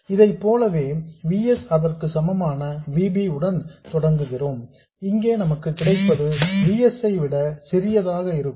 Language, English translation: Tamil, And similarly if you start with a VB that is equal to VS, what you will get here will be something smaller than VS